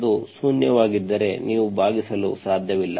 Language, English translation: Kannada, If it is zero, you cannot divide